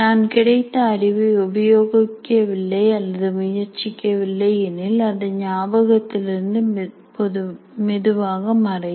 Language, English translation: Tamil, When I am not using that knowledge or practicing, it will slowly start fading from the memory